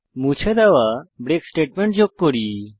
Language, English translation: Bengali, Let us now add the break statement we have removed